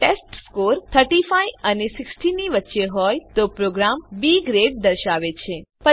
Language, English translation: Gujarati, If the testScore is between 35 and 60 then the program displays B Grade